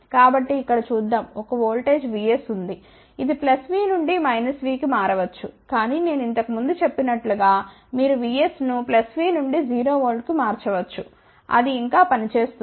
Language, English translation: Telugu, So, let us look at here there is a voltage V s, which can switch from plus V 2 minus V, but as I mentioned earlier you can switch V s from plus V to 0 volt, it will still work